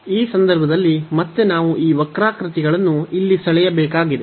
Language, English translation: Kannada, So, in this case again we need to draw these curves here we have the 4